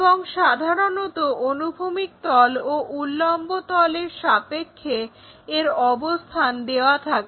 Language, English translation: Bengali, And its position with respect to horizontal plane and vertical plane are given usually